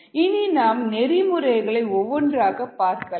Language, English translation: Tamil, let us see the principles one by one